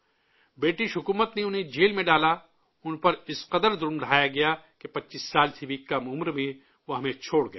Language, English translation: Urdu, The British government put him in jail; he was tortured to such an extent that he left us at the age of less than 25years